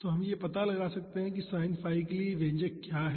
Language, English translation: Hindi, So, we can find out what is the expression for sin phi